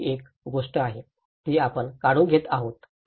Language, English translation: Marathi, So this is one thing, which we have taking away